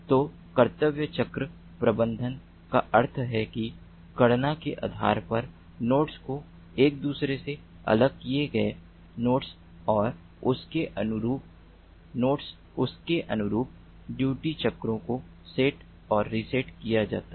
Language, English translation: Hindi, so duty cycle management means that, based on the computation of how much the nodes are separated from each other, the other nodes and their corresponding duty cycles are set or reset accordingly